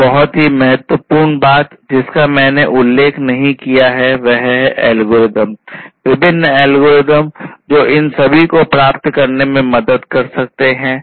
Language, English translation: Hindi, One very important thing I have not mentioned yet; it is basically the algorithms, the different algorithms that can help in achieving all of these